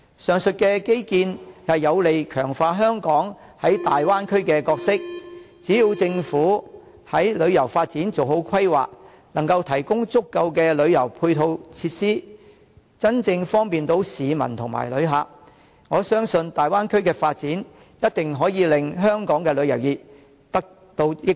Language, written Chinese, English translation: Cantonese, 上述基建有利強化香港在大灣區的角色，只要政府在旅遊發展做好規劃，能夠提供足夠的旅遊配套設施，真正方便市民和旅客，我相信大灣區的發展一定可以令香港的旅遊業得到益處。, The aforesaid infrastructures can strengthen Hong Kongs role in the Bay Area as long as the Government can do proper planning in tourism development and provide adequate tourist supporting facilities that are truly convenient to local residents and tourists . I believe the development of the Bay Area will bring benefits to the tourism industry of Hong Kong